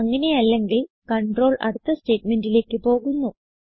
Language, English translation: Malayalam, If not, the control then jumps on to the next statement